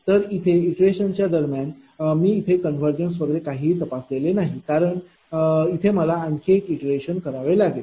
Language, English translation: Marathi, So, here a during the iterative process, I didn't check any convergence thing or anything, because there I have to one more iteration